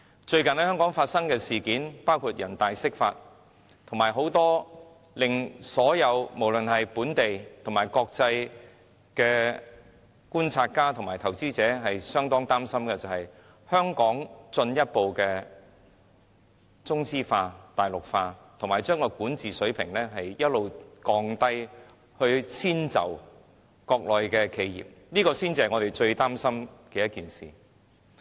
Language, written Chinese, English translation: Cantonese, 最近在香港發生的事件，包括人大釋法，以及令很多本地和國際觀察家及投資者非常擔心的，包括香港進一步中資化、大陸化，以及將香港的管治水平一直降低，以遷就國內企業，這些才是我們最擔心的事。, Many incidents have recently happened in Hong Kong such as the interpretation of the Basic Law by the Standing Committee of the National Peoples Congress . There have also been other happenings that cause the great concern of local and international observers including Hong Kongs further dependency on Chinese capitals and Mainlandization and the continuous decline of Hong Kongs governance standards to suit Mainland enterprises . All these are in fact our gravest concerns